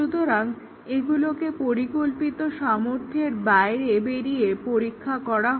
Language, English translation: Bengali, So, these are tested beyond the designed capability